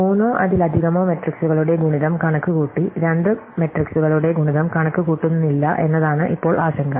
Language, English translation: Malayalam, So, now the concern is not computing the product of two matrices but computing the product of 3 or more